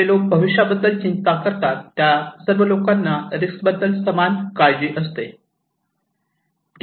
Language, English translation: Marathi, People who worry about the future, do those people worry equally about all kind of risk